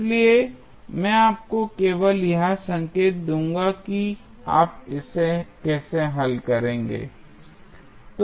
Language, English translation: Hindi, So, I will just give you the clue that how you will solve it